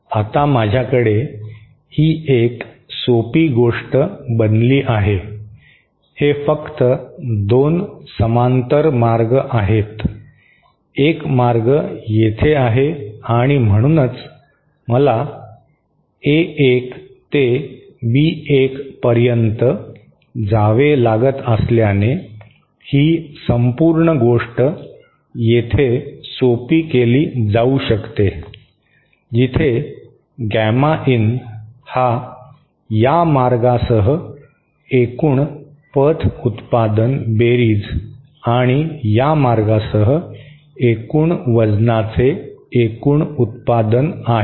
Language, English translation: Marathi, This loop will be absorbed inside this path with a weightage of, Now I have, now this becomes a simple thing, this is just 2 parallel paths, one path is here and so this whole, since I have to go from A1 to B1, this whole thing can be simplified to this where gamma in is just the addition of the total path product along this path, along this path and the total product of the total weight along this path